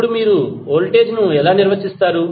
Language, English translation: Telugu, Now, how will you define the voltage